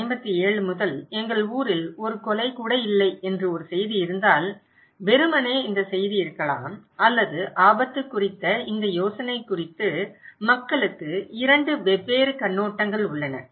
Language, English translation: Tamil, Like, if there is a news that our town has not had a murder since 1957, there could be this news, simply this news or this idea of risk, people have two different perspective